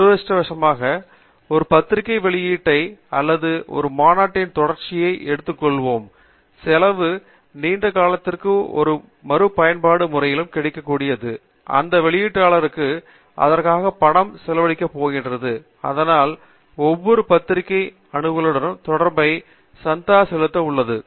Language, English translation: Tamil, Unfortunately, the cost of keeping a journal publication or a conference proceeding in an archival manner, that is available in a reproducible manner over a long period of time is going to make the respective publishers spend money for that; so, which means that there is a subscription cost associated with every journal access